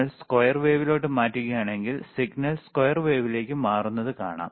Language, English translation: Malayalam, If we change the square wave we can see change in signal to square wave